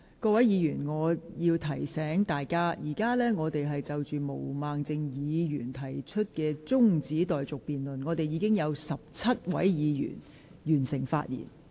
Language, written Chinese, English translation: Cantonese, 各位議員，我要提醒大家，本會現正就毛孟靜議員提出的辯論中止待續議案進行辯論，至今已有17位議員發言。, I would like to remind Members that this Council is now debating the adjournment motion raised by Ms Claudia MO . Seventeen Members have spoken so far